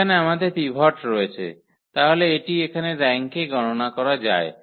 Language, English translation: Bengali, Here we have pivot so that will go count to the rank here